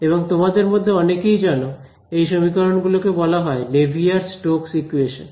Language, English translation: Bengali, And many of you will know that these equations are called the Navier Stokes equations